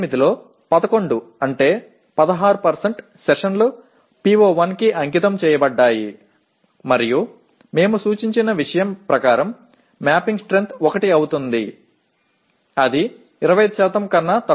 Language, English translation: Telugu, Out of that 11 out of 68 that is 16% of the sessions are devoted to PO1 and as per our suggested thing mapping strength becomes 1, okay